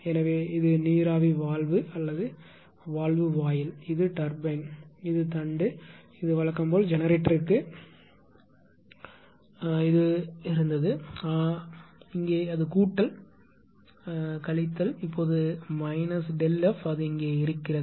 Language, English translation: Tamil, So, this is same thing steam valve or valve gate this is turbine right this is shaft right this is to generator as usual right this this was earlier there, but here it is plus minus now it is minus ah minus delta have it was there here it is